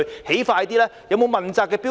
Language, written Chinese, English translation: Cantonese, 是否設有問責的標準？, Have the standards of accountability been put in place?